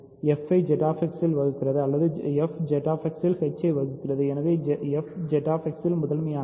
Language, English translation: Tamil, So, f divides g in Z X or f divides h in Z X and hence f is prime in Z X, ok